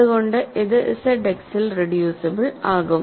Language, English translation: Malayalam, So, it is reducible in Z X